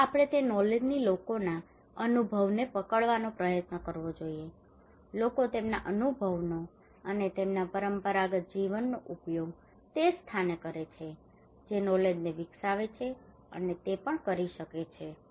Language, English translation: Gujarati, So we should try to grab that knowledge people experience, people use their experience and their traditional living with the same place that develop a knowledge and that that can even